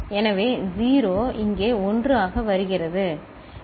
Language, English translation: Tamil, So, 0 is coming here as 1, right